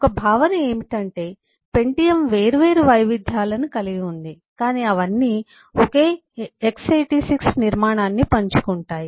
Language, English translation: Telugu, One concept is: pentium has different variations, but all of them share the same x86 architecture